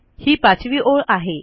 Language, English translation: Marathi, Line 5 is here